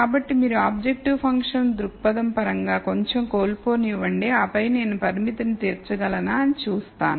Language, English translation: Telugu, So, you will say let me lose a little bit in terms of an objective function perspective and then see whether I can meet the constraint